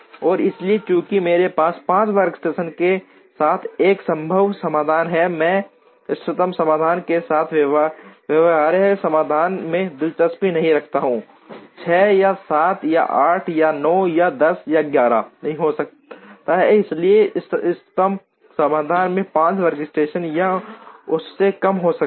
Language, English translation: Hindi, And therefore, since I have a feasible solution with 5 workstations, I am not interested in feasible solutions with optimum solution, cannot be 6 or 7 or 8 or 9 or 10 or 11, so the optimum solution can have 5 workstations or less